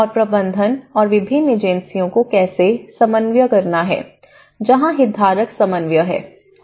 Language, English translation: Hindi, The management and also how different agencies has to coordinate, that is where the stakeholder coordination